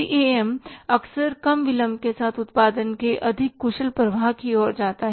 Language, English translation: Hindi, CAM often leads to a smoother, more efficient flow of the production with fewer delays